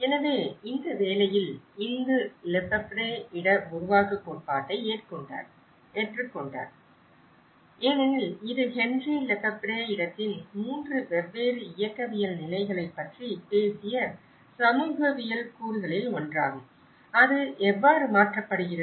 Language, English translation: Tamil, So, in this work, Indu have adopted Lefebvreís theory of production of space because this is one of the sociological component where Lefebvre, Henri Lefebvre talked about 3 different ontological positions of place, how it gets transformed